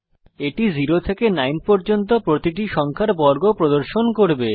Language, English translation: Bengali, This will print the square of each number from 0 to 9